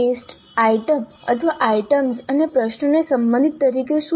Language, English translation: Gujarati, Now what do we have under the test item or items and questions as the relationship